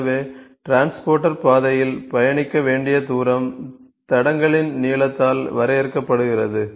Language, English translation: Tamil, So, the distance which the transporter has to travel on the track is defined by tracks length